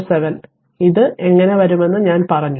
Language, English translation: Malayalam, 007 I told you right how it will come